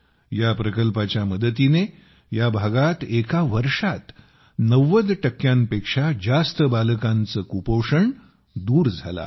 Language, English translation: Marathi, With the help of this project, in this region, in one year, malnutrition has been eradicated in more than 90 percent children